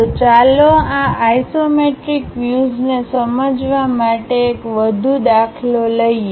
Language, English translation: Gujarati, So, let us take one more example to understand these isometric views